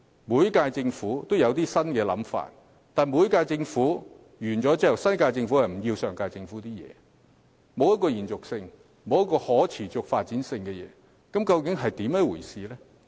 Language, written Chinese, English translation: Cantonese, 每屆政府也有新想法，但當每屆政府任期屆滿後，新一屆政府便棄掉上屆政府的措施，既未能延續，亦無法持續發展，這究竟是甚麼一回事呢？, Each term of Government has new ideas but when each term of Government expires the new Government will scrap the measures introduced by its predecessor making continuity and sustainable development impossible . What is going on?